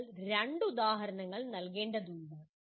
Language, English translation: Malayalam, You are required to give two examples